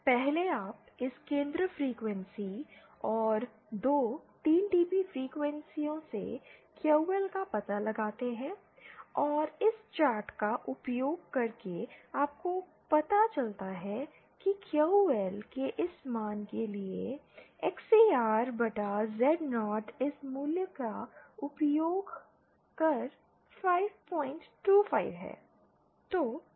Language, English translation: Hindi, 1st you find out QL from this centre frequency and the two 3dB frequencies and using this chart you find out that XCR upon Z0 using this value for this value of QL is 5